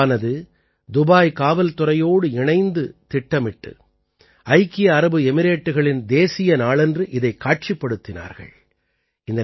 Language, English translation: Tamil, Kalari club Dubai, together with Dubai Police, planned this and displayed it on the National Day of UAE